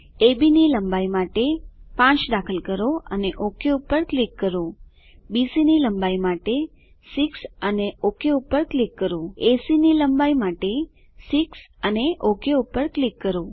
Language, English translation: Gujarati, Lets Enter 5 for length of AB and click OK,6 for length of BC and click OK, 6 for length of AC and click OK